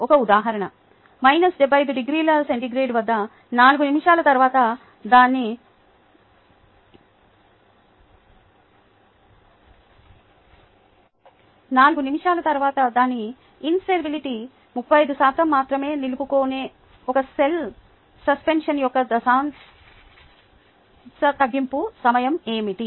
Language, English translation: Telugu, an example is: what is the decimal reduction time of a single cell suspension that retains only thirty five percent of its viability after four minutes at seventy five degrees c